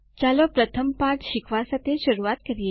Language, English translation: Gujarati, Let us start by learning the first lesson